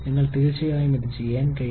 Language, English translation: Malayalam, You will surely be able to do this